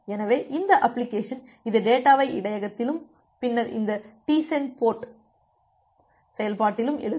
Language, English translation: Tamil, So, this application, it will write the data in the buffer and then this TportSend() function